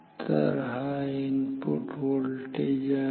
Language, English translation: Marathi, So, this is input voltage